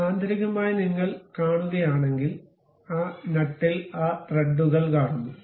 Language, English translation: Malayalam, So, internally if you are seeing we have those threads in that nut